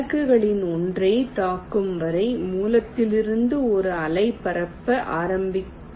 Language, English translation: Tamil, let a wave start propagating from the source till it hits one of the targets